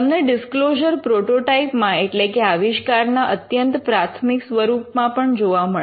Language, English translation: Gujarati, You could find disclosures in prototypes which have been the initial versions of the invention itself